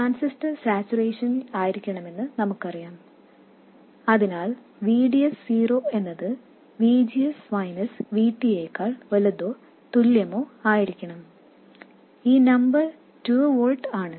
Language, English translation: Malayalam, We know that the transistor has to be in saturation, so VDS 0 has to be greater than or equal to VGS minus VT and this number is 2 volts